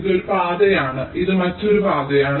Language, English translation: Malayalam, this is one path, this is another path